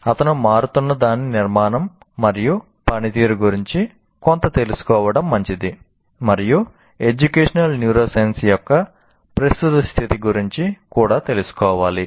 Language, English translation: Telugu, It is good to know something about the structure and functioning of what is changing and also be familiar with the current state of educational neuroscience